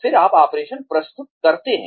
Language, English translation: Hindi, Then, you present the operation